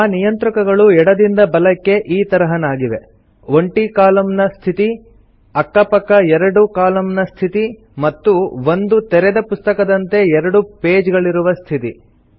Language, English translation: Kannada, The View Layout icons from left to right are as follows: Single column mode, view mode with pages side by side and book mode with two pages as in an open book